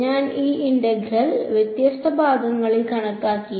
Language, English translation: Malayalam, I have calculated this line integral piece by piece